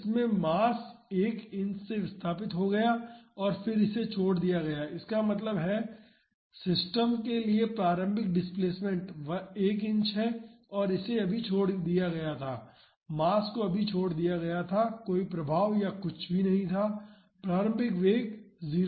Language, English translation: Hindi, So, in this the mass was displaced by 1 inch and then it was released; that means, the initial displacement to the system is 1 inch and it was just released, the mass was just released there was no impact or anything so, the initial velocity is 0